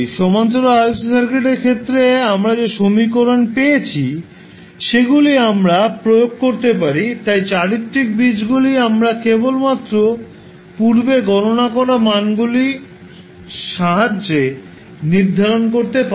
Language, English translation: Bengali, We can apply the equations which we got in case of Parallel RLC Circuit, so characteristic roots we can simply determined with the help of the values which we calculated previously